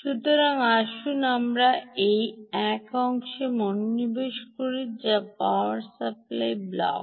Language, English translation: Bengali, so lets concentrate on this one portion, which is the power supply block